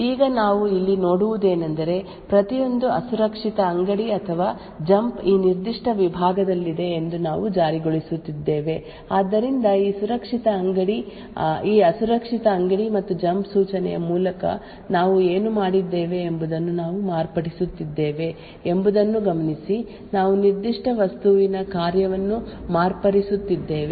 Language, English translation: Kannada, Now what we see over here is that we are enforcing that every unsafe store or jump is within this particular segment, so note that we are modifying what is done by this unsafe store and jump instruction we are modifying the functionality of that particular object, so however we are able to achieve that any unsafe instruction is always restricted by that segment boundary